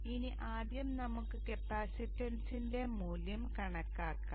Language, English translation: Malayalam, Now first off let us calculate the value of the capacitance